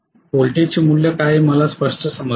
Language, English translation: Marathi, So I have got clearly what is the value of the voltage